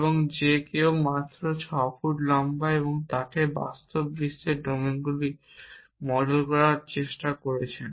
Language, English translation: Bengali, And somebody who is just 6 feet is tall it leads to problems when you are trying to model real world domains